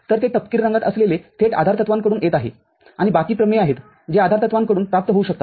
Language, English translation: Marathi, So, the one that is in the brown are coming directly from the postulates and the rests are the theorems which can be derived from the postulate